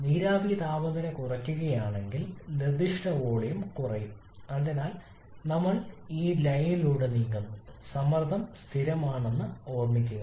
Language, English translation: Malayalam, If the vapour temperature reduces then the specific volume will reduce so we are moving along this line remember the pressure is constant